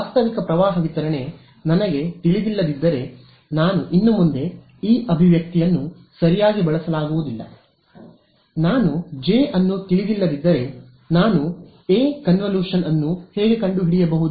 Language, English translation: Kannada, If I do not know the realistic current distribution I can no longer use this expression right; if I do not know J how can I find out A, the convolution